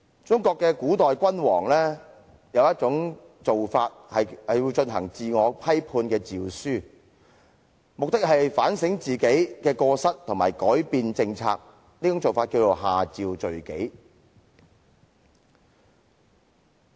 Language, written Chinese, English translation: Cantonese, 中國古代君主會頒布自我批判的詔書，目的是反省自己過失，以及改變政策，這做法名為"下詔罪己"。, In ancient China monarchs might sometimes issue edicts of self - criticisms with the aim of reflecting on their own mistakes and reversing their policies . Such edicts are called Imperial Edicts for Penitence